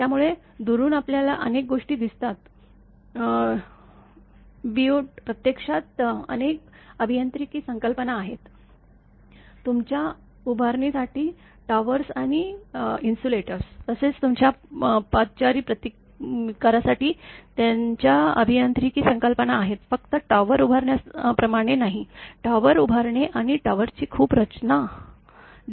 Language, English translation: Marathi, So, from distance we can sees many these things, but actually many engineering concepts are there; for your erecting towers and the insulators, as well as your footing resistance their engineering concepts are there; just not like transporting the; erecting the tower and the design of the tower also, we can see different kind of designs are there